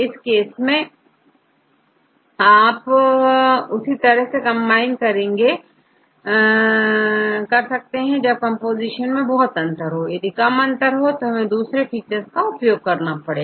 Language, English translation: Hindi, In this case you can combine only if you why is the large difference in composition, you can use this if it is less difference use some other features